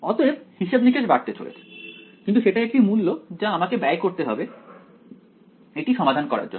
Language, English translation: Bengali, So, computation is going to increase, but that is a price that I have to pay for solving this